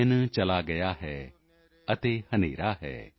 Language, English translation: Punjabi, The day is gone and it is dark,